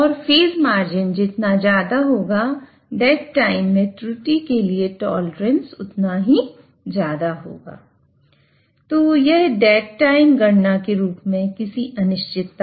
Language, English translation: Hindi, And therefore you will ensure stability and higher the phase margin higher is the tolerance to error in dead time